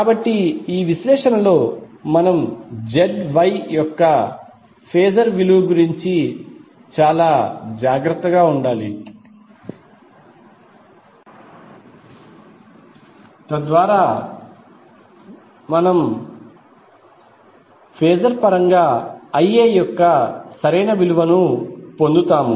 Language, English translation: Telugu, So in the analysis we have to be very careful about the phasor value of ZY so that we get the proper value of IA in phasor terms with respect to VA